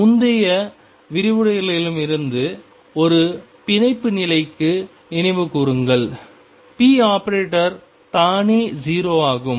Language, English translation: Tamil, And recall from the previous lecturer for a bound state p expectation value itself is 0